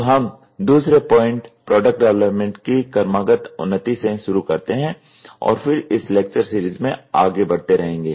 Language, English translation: Hindi, So, we will continue from the second rightly evolution of product development and we will keep moving in this lecture series